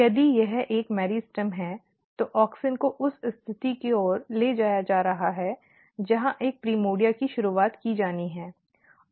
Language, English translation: Hindi, If this is a meristem then auxins are getting transported towards the position where a primordia has to be initiated